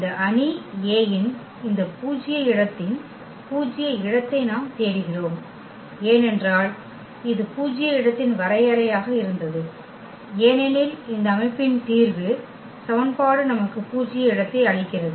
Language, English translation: Tamil, We are looking for the null space of this null space of this matrix A because that was the definition of the null space that all the I mean the solution of this system of equation gives us the null space